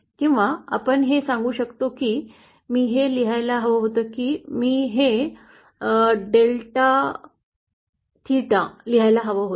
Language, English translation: Marathi, Or we can you know say that, I should I should have written this, I should have written this a delta theta